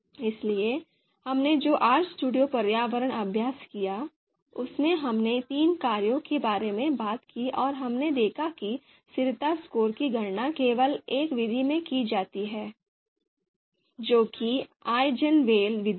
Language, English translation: Hindi, So in the RStudio environment exercise that we did, we talked about three functions and we saw that consistency score was calculated only in one of the method, that is eigenvalue method